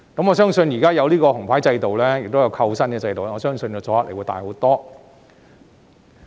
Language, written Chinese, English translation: Cantonese, 現在設有"紅牌"制度及扣薪制度，我相信阻嚇力會更大。, Now that with the red card and remuneration deduction system I believe that the deterrent effect will be greater